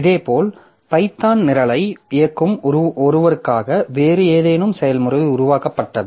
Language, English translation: Tamil, Similarly, maybe some other process got created who for somebody running the Python program